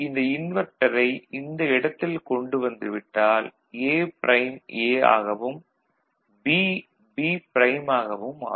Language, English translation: Tamil, So, these inverters can be brought over here so, A becomes A prime becomes A and B becomes B prime, ok